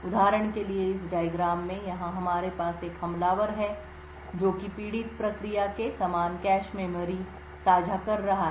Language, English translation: Hindi, For example, in this figure over here we would have an attacker sharing the same cache memory as a victim process